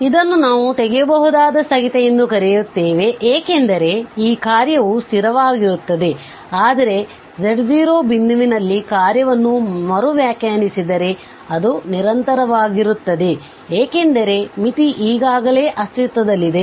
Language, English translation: Kannada, So, this is what we call removable discontinuity as such the function is discontinuous, but if we redefine the function at a point z naught then this will become continuous because the limit already exists